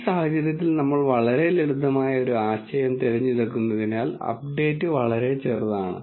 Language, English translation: Malayalam, In this case because we chose a very simple example the updation is only slight